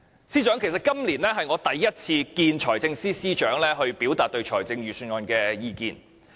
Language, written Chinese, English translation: Cantonese, 司長，其實今年是我首次與財政司司長會面表達對預算案的意見。, Secretary this in fact is the first year I meet with a financial secretary to express my views on the Budget